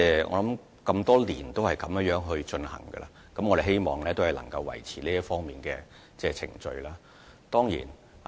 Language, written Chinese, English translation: Cantonese, 我們多年來一直按這方式行事，亦希望能夠維持這方面的程序。, We have adopted this approach over the years and we wish that the relevant procedure can be maintained